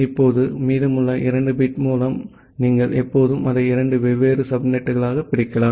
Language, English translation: Tamil, And now, with the remaining 2 bit, you can always divide it into two different subnets